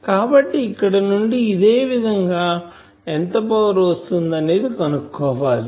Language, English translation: Telugu, So, now from here similarly we can find out how much power will come etc